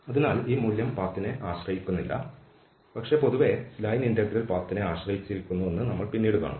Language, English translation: Malayalam, So this value does not depend on path, but in general, we will see also later that these line integral depends on the path